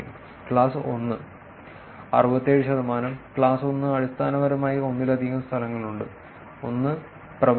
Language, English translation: Malayalam, Class 1, 67 percent; class 1 is basically there are multiple locations, one being predominant